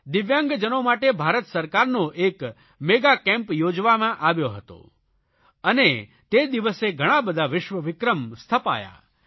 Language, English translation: Gujarati, Government of India had organized a Mega Camp for DIVYANG persons and a number of world records were established that day